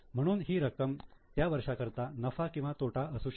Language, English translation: Marathi, So same amount is a profit or loss for the year